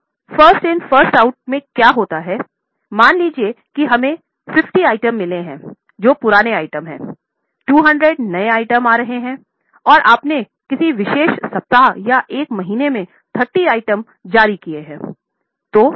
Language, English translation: Hindi, Now, in first in first out what happens is suppose we have got 50 items which are the older items, new 200 items are coming and you have issued 30 items in a particular week or a month